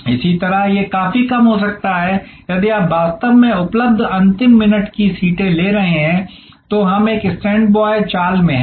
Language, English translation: Hindi, Similarly, it could be quite low if you are actually are taking the last minute seats available, so we are in a standby move